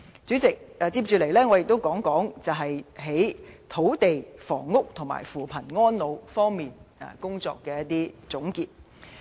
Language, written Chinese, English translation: Cantonese, 主席，接下來，我想總結政府在土地房屋和扶貧安老方面的工作。, President I will then recap the Governments tasks in land and housing as well as poverty alleviation and elderly care